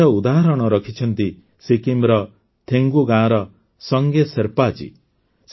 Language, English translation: Odia, The example of this has been set by Sange Sherpa ji of Thegu village of Sikkim